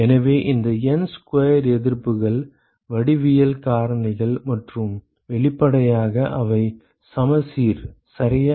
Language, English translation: Tamil, So, these N square resistances are because of the geometric factors and obviously, they are symmetrical, right